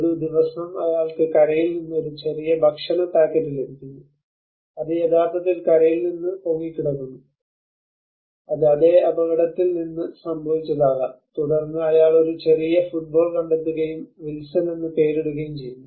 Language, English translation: Malayalam, One day he gets a small food packet delivery from the shore which actually float from the shore probably it could have been from the same accident and then he finds a small football and he names it as Wilson